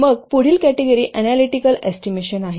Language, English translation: Marathi, Then next category is analytical estimation